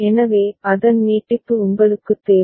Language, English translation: Tamil, So, you just need extension of that